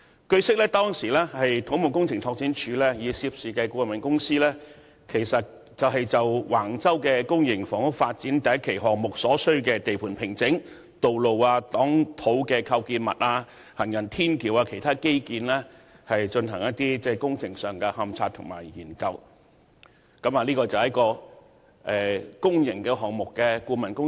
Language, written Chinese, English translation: Cantonese, 據悉，當時土木工程拓展署曾與涉事的顧問公司，就橫洲公營房屋發展的第1期項目所需的地盤平整、道路、擋土構建物和行人天橋等其他基建工程進行勘察和研究，這是公營項目的顧問工作。, It is learnt that back then the Civil Engineering and Development Department CEDD had commissioned the consultancy company to conduct the consultancy work of a public project involving the investigation and studies on site formation and other infrastructure works like the construction of roads earth - retaining structures and footbridges and so on